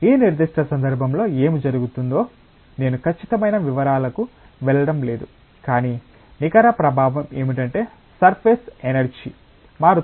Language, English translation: Telugu, I am not going to the exact details what happens in this specific case, but the net effect is that the surface energy gets altered